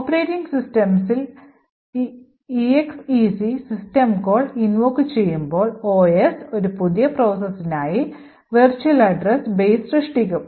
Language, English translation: Malayalam, When it is executed by the operating system, so when the exec system call is invoked in the operating system, the OS would create a new virtual address base for the new process